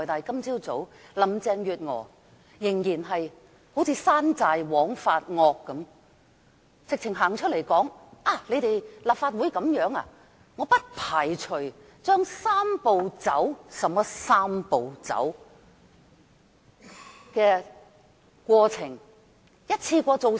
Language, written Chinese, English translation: Cantonese, 今早，林鄭月娥便彷如山寨王發惡般走出來說道："立法會這樣做，我不排除將'三步走'"——甚麼"三步走"——"的過程一次過做完。, This morning Carrie LAM came out if she was an overlord and said angrily to this effect Should the Legislative Council behave in this manner I would not rule out completing the Three - step Process―what does she mean by the Three - step Process―in one go